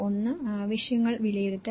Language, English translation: Malayalam, One is the needs assessment